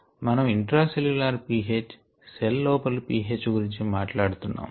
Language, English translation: Telugu, we are talking of intracellular p h, p h inside the cells